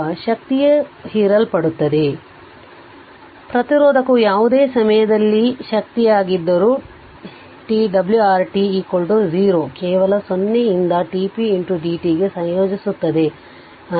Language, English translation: Kannada, Now, energy absorbed by the resistor is right though energy at any time t W R t is equal to 0 you just integrate 0 to t p into dt